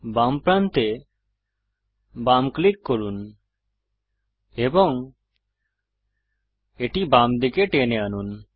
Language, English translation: Bengali, Left click the left edge and drag it to the left